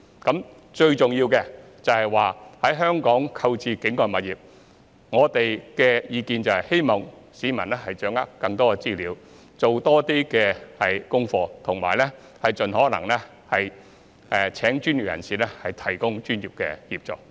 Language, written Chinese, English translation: Cantonese, 我們的意見是，市民在香港購買境外物業，最重要的是掌握更多資料，多做資料搜集，以及盡可能聘請專業人士提供專業協助。, Our view is that when purchasing non - local properties in Hong Kong members of the public should most importantly grasp more information do more research and engage professionals to seek their professional advice as far as possible